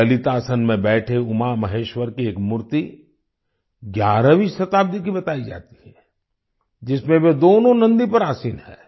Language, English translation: Hindi, An idol of UmaMaheshwara in Lalitasan is said to be of the 11th century, in which both of them are seated on Nandi